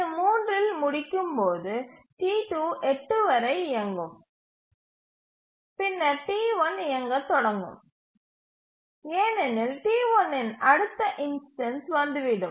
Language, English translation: Tamil, As it completes at 3, T2 will start running, it will run till 8 and then T1 will start running because T1 next instance will arrive